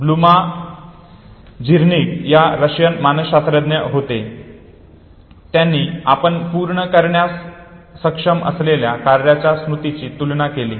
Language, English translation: Marathi, Bluma Zeigarnik was a Russian psychologist who actually compared memory of tasks which you are able to complete